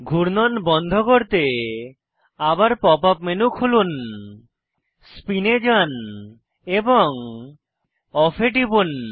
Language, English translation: Bengali, To turn off the spin, Open the Pop up menu again, Scroll down to Spin and click on Off